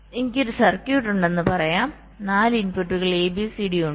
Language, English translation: Malayalam, so we take a four input circuit with input a, b, c and d